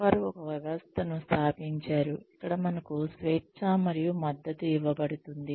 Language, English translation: Telugu, They have instituted a system in place, where we are given the freedom and support